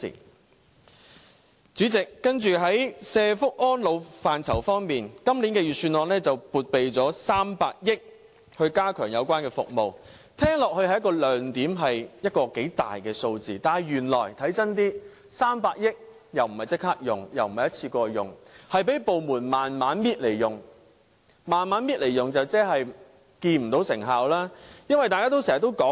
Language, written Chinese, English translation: Cantonese, 代理主席，接着在社福安老範疇，今年預算案撥備300億元加強有關服務，聽起來是一個亮點，是一個頗大的數目，但看真一點 ，300 億元並不是立刻用，也不是一次過用，是讓部門慢慢逐步使用，這樣做即是看不到成效。, The Budget this year has earmarked 30 billion for enhancing the services concerned . This seems like a bright spot at first as the Government is spending a significant amount . However upon a second thought one will realize that the funding is not to be used immediately nor is it to be used in one go but reserved for use bit by bit among relevant departments